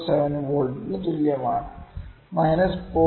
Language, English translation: Malayalam, 07V is equal to minus 0